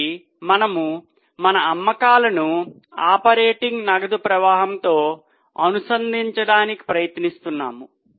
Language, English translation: Telugu, So, we are trying to link our sales to operating cash flow